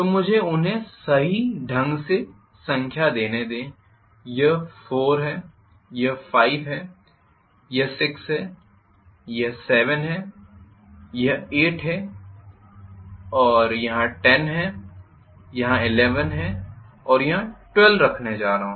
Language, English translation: Hindi, So let me number them also correctly this is 4 this is 5 this is 6 this is 7 this is 8 this is 9 and I am going to have 10 here 11 here and 12 here